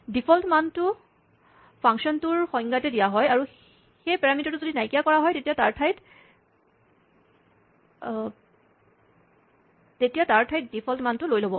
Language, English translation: Assamese, The default value is provided in the function definition and if that parameter is omitted, then, the default value is used instead